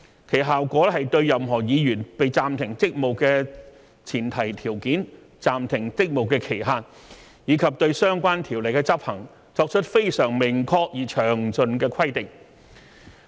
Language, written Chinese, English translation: Cantonese, 其效果是對任何議員被暫停職務的前提條件、暫停職務的期限，以及對相關條款的執行，作出非常明確而詳盡的規定。, Its effect is to impose very explicit and detailed regulations on the pre - conditions for the suspension of any Member the duration of suspension and the execution of the relevant terms